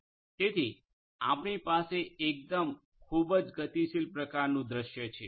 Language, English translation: Gujarati, So, we have a different very highly dynamic kind of scenario